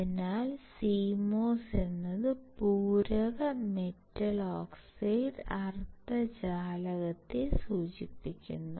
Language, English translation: Malayalam, So, CMOS stands for complementary metal oxide semiconductor